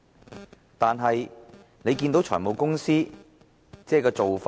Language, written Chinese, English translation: Cantonese, 可是，大家看到現時財務公司的做法。, Nevertheless we can see with our eyes the practice of finance companies these days